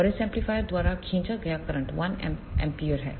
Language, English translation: Hindi, And the current drawn by this amplifier is 1 ampere